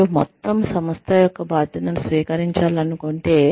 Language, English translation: Telugu, If you want to take on the responsibility of the entire organization